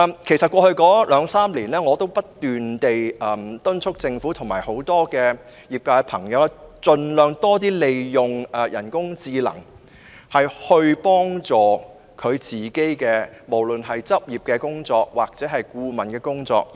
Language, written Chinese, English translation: Cantonese, 其實，在過去兩三年，我已不斷敦促政府及業界朋友盡量利用人工智能，協助處理執業或顧問方面的工作。, In fact over the past two or three years I have repeatedly urged the Government and members of the industry to make the best use of artificial intelligence AI to help with their professional practice or consultancy work